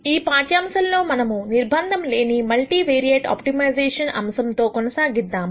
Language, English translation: Telugu, In this lecture we will continue with Unconstrained Multivariate Optimiza tion